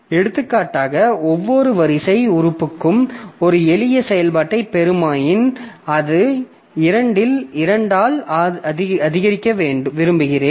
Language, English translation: Tamil, For example, if I have to say I have got a simple operation like for each array element I want to increment it by 2